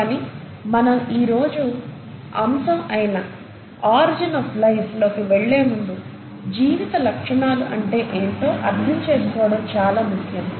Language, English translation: Telugu, But before I get into the actual topic of today, which is origin of life, it's important to understand what are the features of life